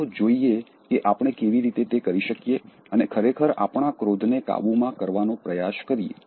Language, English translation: Gujarati, Let us see how we can do that and really try to control our anger